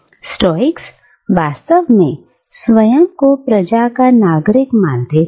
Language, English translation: Hindi, The Stoics, in fact, considered themselves to be citizens of the wrld